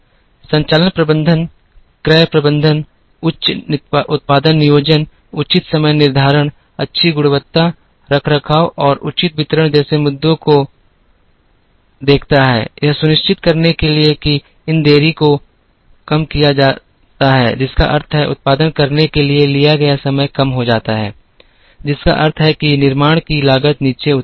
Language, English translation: Hindi, Operations management looks at issues like purchasing management, proper production planning, proper scheduling, good quality, maintenance and proper distribution to ensure that, these delays are minimized which means, the time taken to produce comes down which also means that, the cost of manufacture comes down